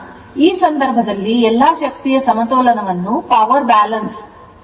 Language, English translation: Kannada, So, in this case that all power balance everything is shown